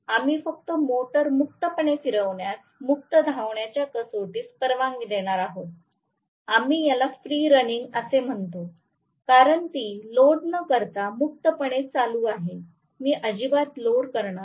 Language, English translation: Marathi, We are just going to allow the motor to run freely, free running test, we call it as free running it is running freely without being loaded, I am not going to load it at all